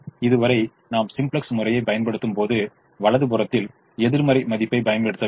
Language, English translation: Tamil, so far, when we have done simplex, we have never used a negative value on the right hand side